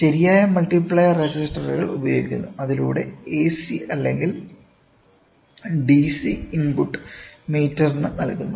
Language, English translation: Malayalam, Proper multiplier resistors are employed through which the AC or DC input is given to the meter